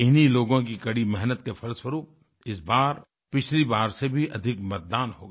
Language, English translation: Hindi, It is on account of these people that this time voting took place on a larger scale compared to the previous Election